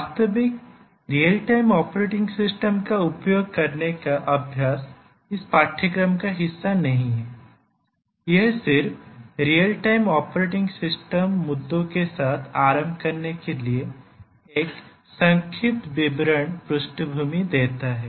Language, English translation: Hindi, The practice using a actual real operating system is not part of this course, it just gives an overview background to get started with real time operating system issues